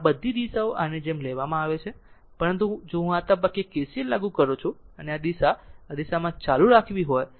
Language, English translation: Gujarati, All the direction is taken like this, but if I if you apply KCLs at this point you take and this direction in this direction the current this